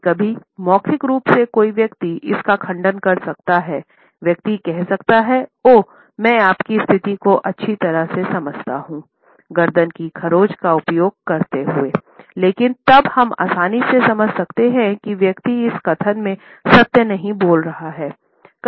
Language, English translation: Hindi, Sometimes we find that verbally a person may contradict it, a person may say oh, I understand very well your situation, using the neck scratch, but then we can easily understand that the person is not truthful in this statement